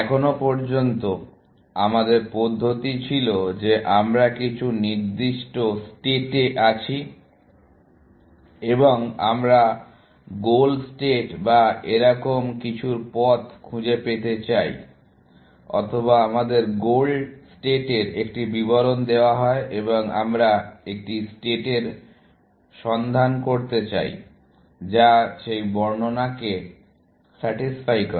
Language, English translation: Bengali, So far, our approach has been that we are in some given state, and we want to find a path to the goal state or something like that, or we are given a description of the goal state and we want to search for a state, which satisfies that description